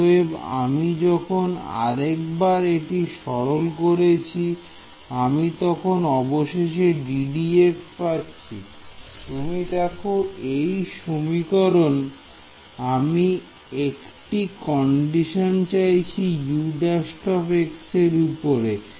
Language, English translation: Bengali, So, when I simplify this once more what do I get d by dx finally, see in this equation you see I want a condition on U prime x ok